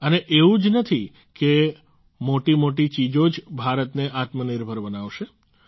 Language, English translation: Gujarati, And it is not that only bigger things will make India selfreliant